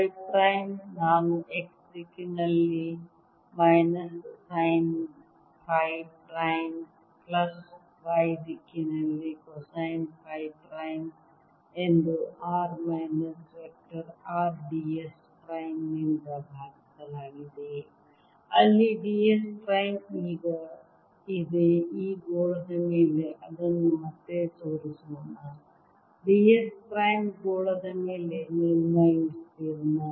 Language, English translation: Kannada, phi prime i can write as minus sine phi prime in x direction, plus cosine of phi prime in y, divided by r minus vector r d s prime where d s prime is now let me show it again: over this sphere, d s prime is a surface area over the sphere